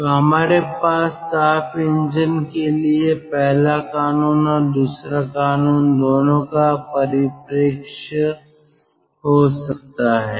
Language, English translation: Hindi, so we can have the perspective of both first law and second law for a heat engine